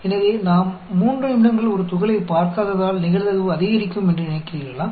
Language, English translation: Tamil, It is not that the probability will increase, because we have not seen a particle for a long time